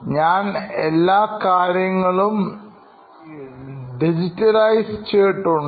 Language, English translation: Malayalam, I was digitizing the whole thing